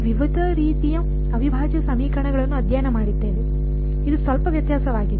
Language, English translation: Kannada, We have studied different types of integral equations, this is a slight variation